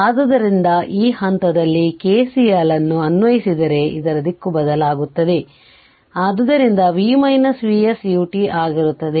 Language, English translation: Kannada, So, this point if you apply your what you call that your KCL, then this as direction is changed, so it will be V minus V s U t